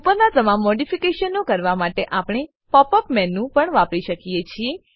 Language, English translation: Gujarati, We can also use the Pop up menu to do all the above modifications